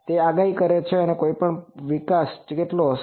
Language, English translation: Gujarati, It predicts how much the growth of any crop will be there